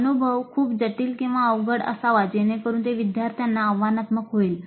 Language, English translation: Marathi, The experience must be complex or difficult enough so that it challenges the students